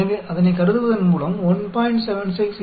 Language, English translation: Tamil, Then, next one is 1